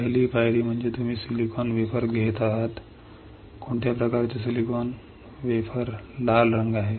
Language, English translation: Marathi, First step is you are taking a silicon wafer what kind of silicon